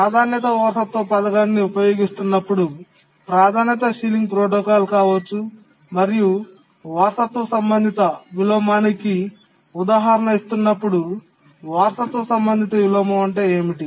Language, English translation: Telugu, When using a priority inheritance scheme, maybe a priority sealing protocol, what do you understand by inheritance related inversion